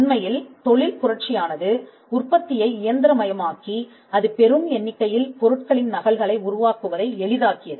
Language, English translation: Tamil, Industrial revolution actually mechanized manufacturing; it made producing many copies of products easier